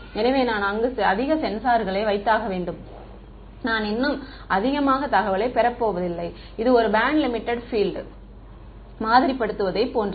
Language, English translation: Tamil, So, it is if I put more sensors over there, I am not going to get more information; it is like over sampling a band limited field